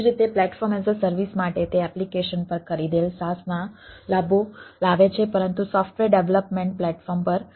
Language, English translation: Gujarati, similarly, for platform as a service, it brings benefits of saas bought over the application but over a software development platform